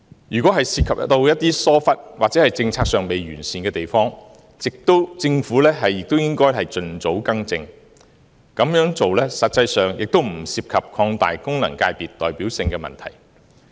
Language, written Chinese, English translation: Cantonese, 如果涉及一些疏忽，或政策上未完善的地方，政府也應該盡早更正，這樣做實際上也不涉及擴大功能界別代表性的問題。, If there is any negligence on the part of the Government or inadequacy in its policies the Government should rectify the mistakes as soon as possible . The proposal will not create any problem of increasing the representativeness of FCs in practice